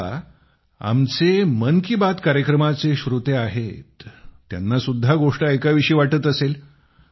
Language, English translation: Marathi, Now our audience of Mann Ki Baat… they too must be wanting to hear a story